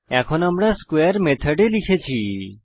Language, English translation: Bengali, So we have written a square method